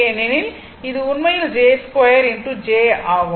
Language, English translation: Tamil, Because this one actually j square into j